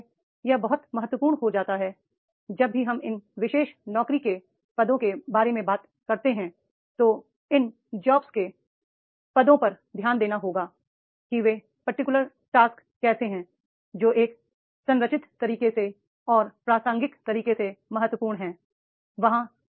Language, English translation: Hindi, So therefore it becomes very important that is whenever we talk about these particular different job positions then these job job positions that has to be taken care, that is the how these particular jobs that are important in a structured way and in the relevant to women is there